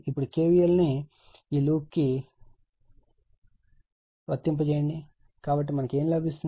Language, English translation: Telugu, Now, apply KVL to loop this one right, so what we will get